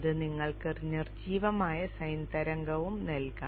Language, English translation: Malayalam, So you can give a damped sign wave also